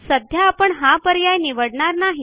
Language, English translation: Marathi, However, in this case we will not choose this option